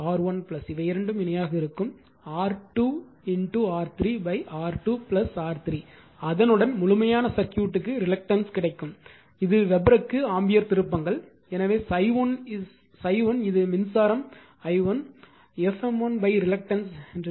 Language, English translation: Tamil, So, will be equimately R 1 plus this two are in parallel, R 2 into R 3 by R 2 plus R 3 with that you will get the reluctance of the complete your what you call complete circuit right, this is ampere tones per Weber therefore, phi 1 that is the current i 1, you will get f m 1 by reluctance